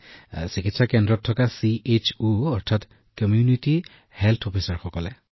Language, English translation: Assamese, Yes, the CHO who lives in the Wellness Center, Community Health Officer